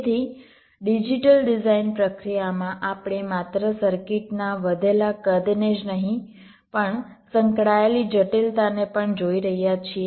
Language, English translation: Gujarati, ok, so in the digital design process we are not only looking at the increased sizes of this circuits but also the associated complexity involved